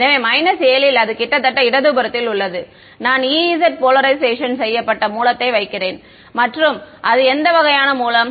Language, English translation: Tamil, So, at minus 7 that is at the almost at the left most part I am putting E z polarised source and what kind of a source